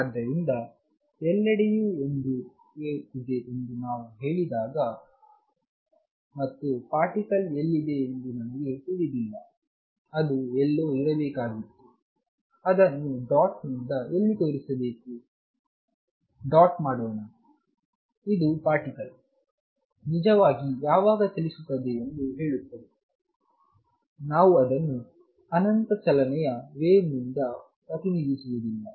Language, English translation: Kannada, So, when we say that there is a wave all over the place, and I do not know where the particle is located which should have been somewhere here where are show it by the dot, let dot put out says the particle as actually when is moving it is not represented by infinite train of wave